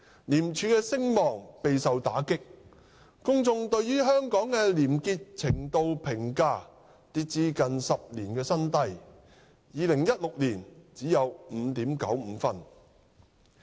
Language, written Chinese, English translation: Cantonese, 廉署的聲望備受打擊，公眾對於香港廉潔程度評價跌至近10年新低 ，2016 年只有 5.95 分。, The reputation of ICAC has been dealt a heavy blow and the publics appraisal of the degree of corruption - free practices in Hong Kong has dropped to a new low for the past decade with a score of only 5.95 in 2016